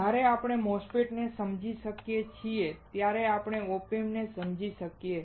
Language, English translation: Gujarati, When we understand MOSFETS, we understand OP amps